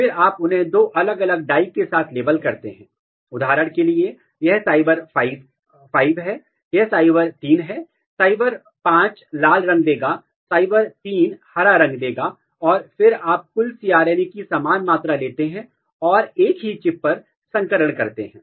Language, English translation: Hindi, And then you label them with two different dye for example, this is cy5, this is cy3, cy5 will give red color, cy3 will give green color and then you take equal amount of total cRNA and hybridize on the same chip